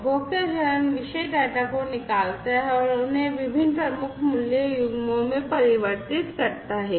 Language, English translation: Hindi, The consumer phase extracts the topic data and converts them into different key value pairs